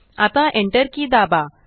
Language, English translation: Marathi, Now press the Enter key